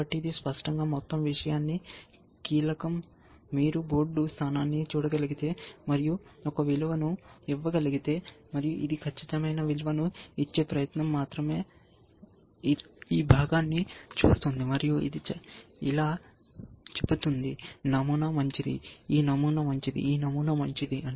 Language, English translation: Telugu, So, that obviously is the key to the whole thing, if you can look at a board position, and give a value, and this is just an attempt to give an accurate value, it is looking at it piece say this pattern is good, this pattern is good, this pattern is good, And of course, if the opponent has that pattern you are going to subtract it from essentially